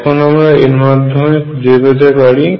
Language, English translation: Bengali, Now through this we find out